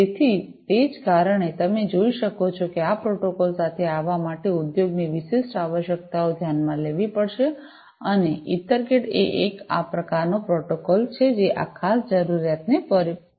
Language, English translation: Gujarati, So, that is the reason as you can see, industry specific requirements will have to be taken into account in order to come up with these protocols and EtherCAT is one such protocol, which cater to this particular need